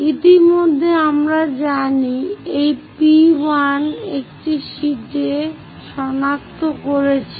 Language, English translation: Bengali, Already we know this point P1 locate it on the sheet